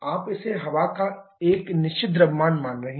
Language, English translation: Hindi, You are considering it to be a fixed mass of air